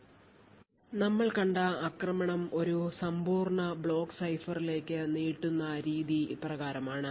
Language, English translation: Malayalam, So, the way we actually extend the attack that we seem to a complete block cipher is as follows